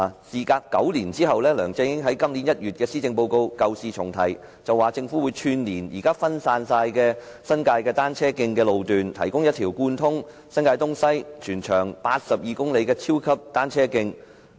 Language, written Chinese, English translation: Cantonese, "事隔9年，梁振英在今年1月發表施政報告時舊事重提，表示政府會串連現在分散在新界的單車徑，打造一條貫通新界東西、全長82公里的超級單車徑。, After the passage of nine years LEUNG Chun - ying raked over the ashes when delivering the Policy Address in January this year saying that the Government would connect the existing cycle tracks scattering in the New Territories and build an 82 km - long super cycle track connecting New Territories East and New Territories West